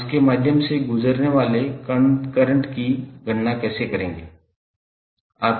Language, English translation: Hindi, How you will calculate the current passing through it